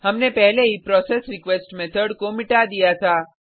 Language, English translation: Hindi, We had already deleted processRequest method